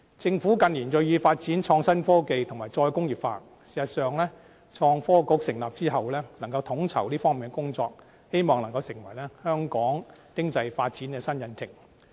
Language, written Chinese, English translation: Cantonese, 政府近年銳意發展創新科技和再工業化，事實上，創新及科技局成立之後，能夠統籌這方面的工作，希望能夠成為香港經濟發展的新引擎。, In recent years the Government is keen on IT development and re - industrialization . In fact with the establishment of the Innovation and Technology Bureau which can coordinate the work in this regard we hope that it can become the new engine for economic development of Hong Kong